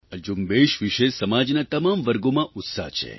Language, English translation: Gujarati, This campaign has enthused people from all strata of society